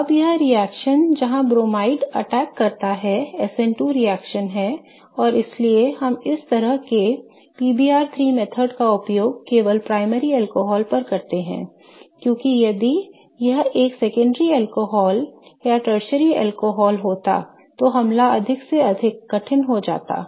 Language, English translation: Hindi, Now this reaction where the bromide attacks is an SN2 reaction and that's why we use this kind of PBR3 method only on primary alcohols because if it was a secondary alcohol or a tertiary alcohol then the attack becomes more and more difficult